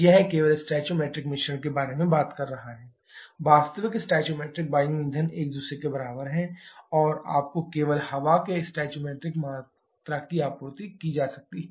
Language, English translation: Hindi, That is talking about the stoichiometric mixture only, actual stoichiometric air fuel are equal to each other and you are supplied the stoichiometric quantity of air only